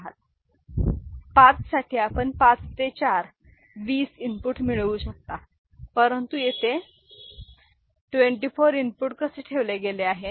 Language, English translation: Marathi, As such for 5 you can get 5 into 4, 20 inputs, but how 24 inputs have been placed there